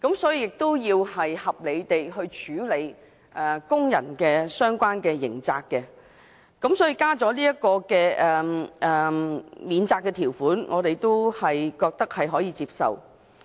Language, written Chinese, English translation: Cantonese, 所以，我們要合理地處理工人的相關刑責。所以，加入這項免責條款，我們覺得可以接受。, I think it is acceptable to introduce this defence provision to reasonably deal with the criminal liabilities of workers